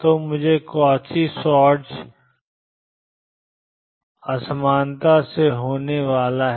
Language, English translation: Hindi, So, I am going to have from Cauchy Schwartz inequality